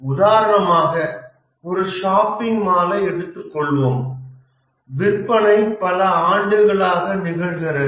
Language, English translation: Tamil, For example, let's say in a shopping mall sales is occurring over a number of years